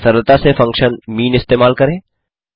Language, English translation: Hindi, Or simply use the function mean